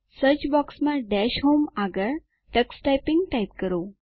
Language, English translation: Gujarati, In the Search box, next to Dash Home, type Tux Typing